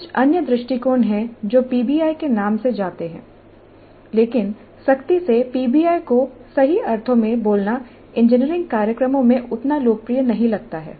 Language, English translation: Hindi, There are certain other approaches which go by the name of PBI but strictly speaking PBI in its true sense does not seem to have become that popular in engineering programs